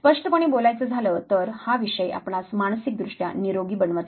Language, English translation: Marathi, So, frankly speaking this subject does not necessarily make you psychologically healthier